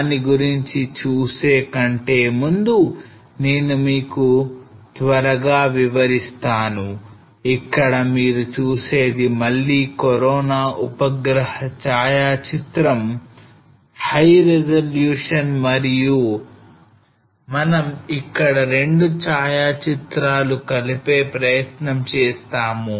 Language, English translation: Telugu, Now before going to that let me just quickly explain you that what exactly you see here there is a again corona satellite photograph, high resolution and we have tried to merge 2 photographs over here